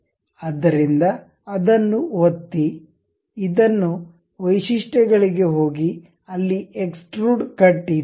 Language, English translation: Kannada, So, click that one, this one, go to features, there is extrude cut